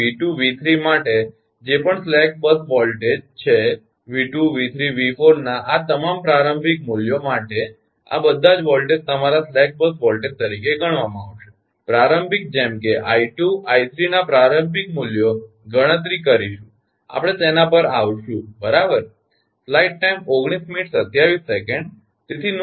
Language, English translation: Gujarati, so for v, two, v, three, whatever is the slack bus voltage for all these initial values of v, two, v, three, v, four, all these ah voltages we will be your, consider as the slack bus voltage, initial one such that initial values of i, two, i three, all can be computed